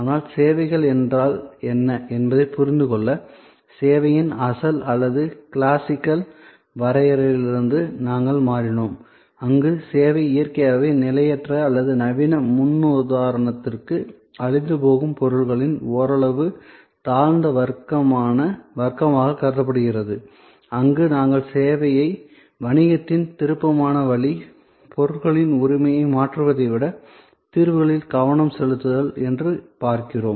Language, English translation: Tamil, But, to understand that what are services, we shifted from the kind of original or classical definition of service, where service was considered somewhat often inferior class of goods which was transient in nature or perishable to the modern paradigm, where we look at service as a preferred way of doing business, focusing on solutions rather than transfer of ownership of goods